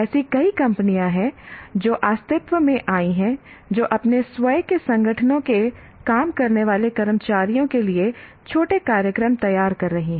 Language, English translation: Hindi, So there are several companies that have come into existence who will be designing short programs for the working staff of their own organizations